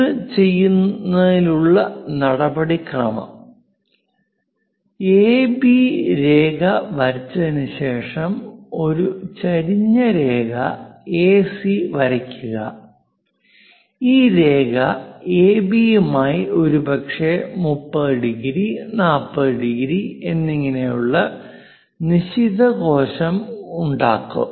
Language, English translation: Malayalam, To do that, the procedure is after drawing line AB, draw a inclined line AC; this is the line, perhaps an acute angle like 30 degrees, 40 degrees, and so on to AB